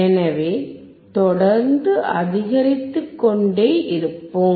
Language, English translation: Tamil, So, let us keep on increasing